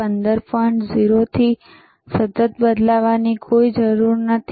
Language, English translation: Gujarati, 0 is already, there is no need to change it, no worries,